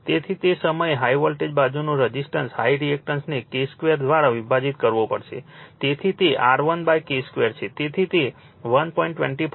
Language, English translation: Gujarati, So, in that time high your high voltage side resistance reactance it has to be divided by your K square, so that is why R 1 upon K square